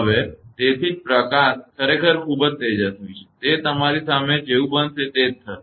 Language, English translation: Gujarati, So, that is why that light is so bright actually; that it will happen as it is happening in front of you